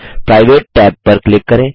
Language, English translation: Hindi, Click the Private tab